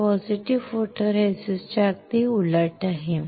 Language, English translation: Marathi, This is the exactly opposite of the positive photoresist